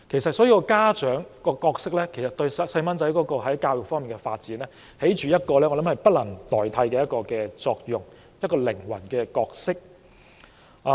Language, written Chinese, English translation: Cantonese, 所以，家長的角色對孩子教育的發展，起着不能代替的作用——一個靈魂的角色。, Hence parents play an irreplaceable role in the education of their children . They play a key role